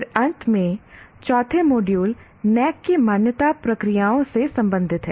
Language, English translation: Hindi, And then finally, the fourth module deals with the accreditation processes of NAC